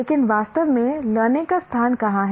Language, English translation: Hindi, But where does exactly learning take place